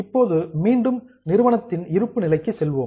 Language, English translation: Tamil, Now, let us go back to company balance sheet